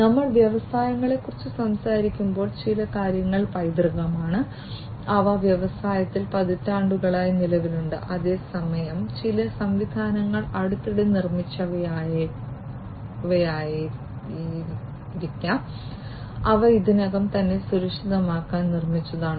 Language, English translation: Malayalam, So, when we are talking about industries certain things are legacy, some systems are legacy systems, which have been there for decades in the industry whereas, certain systems might be the recent ones, which are already you know, which have already been built to be secured